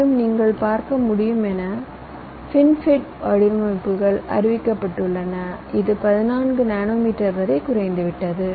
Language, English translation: Tamil, and as you can see, fin fet has design such been reported which has gone down up to fourteen nanometer